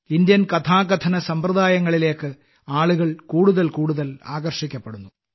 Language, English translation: Malayalam, People started getting attracted towards the Indian storytelling genre, more and more